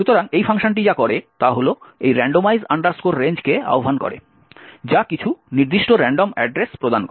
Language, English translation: Bengali, So, what this function does is invoke this randomize range which returns some particular random address